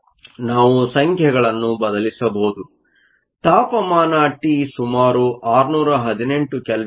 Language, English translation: Kannada, We can substitute the numbers; temperature t is around 618 kelvin